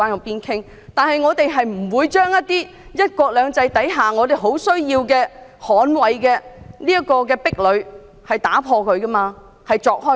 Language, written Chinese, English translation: Cantonese, 然而，我們不會將"一國兩制"下亟需捍衞的壁壘打破、鑿開。, However we will not break or dig open the barricade which is in desperate need of protection under one country two systems